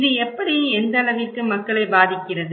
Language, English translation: Tamil, How and what extent it affects people